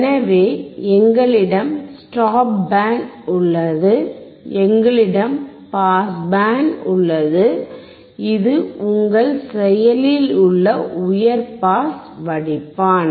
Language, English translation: Tamil, So, we have here stop band, we have here pass band; this is your active high pass filter